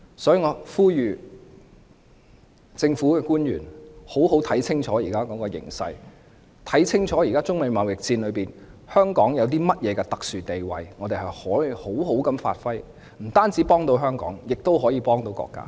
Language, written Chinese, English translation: Cantonese, 所以，我呼籲政府官員要好好看清楚現時的形勢，看清楚現時在中美貿易戰下，香港有甚麼特殊地位可以好好發揮，這樣不但能幫助香港，亦可以幫助國家。, Thus I implore public officers to have a good understanding of the current situation and consider how Hong Kong can effectively perform its special role under the present Sino - United States trade war . That will not only help Hong Kong but also the country